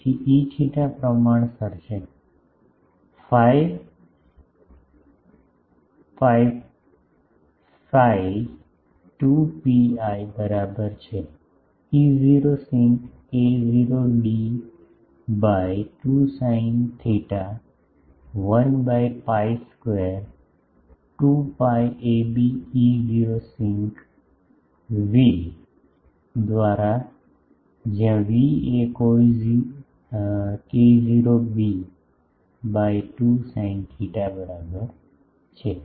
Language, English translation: Gujarati, So, E theta is proportional to fy sin phi is equal to 2 pi ab E not sinc k not d by 2 sin theta 1 by pi square is equal to 2 by pi ab E not sinc v where v is equal to k not b by 2 sin theta